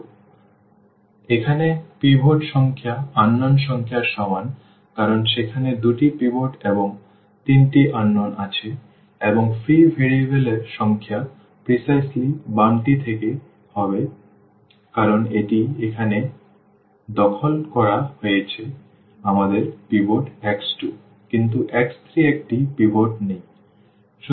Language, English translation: Bengali, So, here the number of pivots in a less than is equal to number of unknowns because there are two pivots and there are three unknowns and the number of free variables will be precisely the left one because this is occupied here we have pivot x 2 has a pivot, but x 3 does not have a pivot